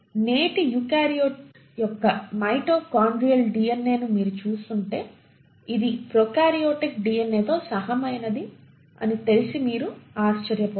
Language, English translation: Telugu, If you were to look at the mitochondrial DNA of today’s eukaryote you will be surprised to know that it is very similar to prokaryotic DNA